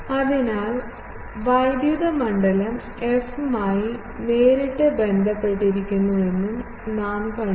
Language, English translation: Malayalam, So, and also we have seen that the electric field is directly related to f